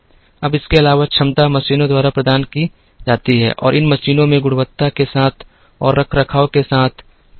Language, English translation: Hindi, Now, in addition, capacity is provided by machines and these machines have linkages with quality and with maintenance